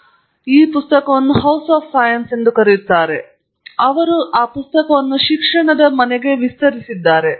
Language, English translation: Kannada, He draws the metaphor he calls it the House of Science; I have extended it to the house of education